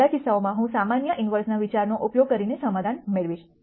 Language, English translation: Gujarati, In all of these cases I will get a solution by using the idea of generalized inverse